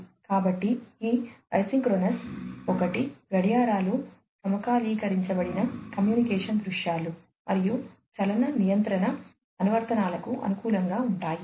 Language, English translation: Telugu, So, this is this isochronous one are used for clocks synchronized communication scenarios, clocks synchronized communication scenarios, and are suitable for motion control applications